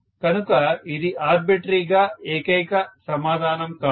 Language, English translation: Telugu, So it will not be a unique answer arbitrarily